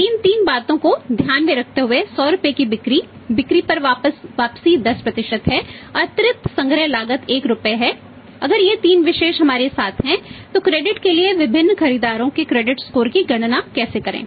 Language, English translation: Hindi, Now with these three things in mind sales of 100 rupees written on sales is 10% additional collection cost is rupees 1, if these three things the particulars are there with us then how to calculate the credit score of the different buyers on the credit